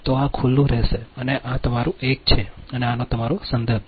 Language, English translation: Gujarati, so this will remain open and this is your a dash and this is your reference one